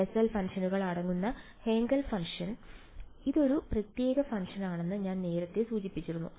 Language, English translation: Malayalam, Now I have mentioned this previously this is a special function, Hankel function consisting of Bessel functions right